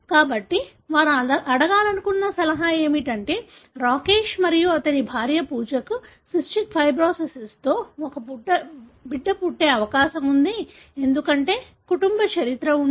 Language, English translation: Telugu, So, the advice they wanted to ask was what is the probability that Rakesh and his second wife, Pooja will have a baby with cystic fibrosis, because there is a family history